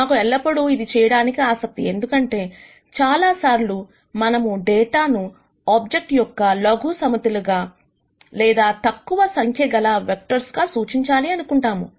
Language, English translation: Telugu, The reason why we are interested in doing this is, because many times we might want to represent data through a smaller set of objects or a smaller number of vectors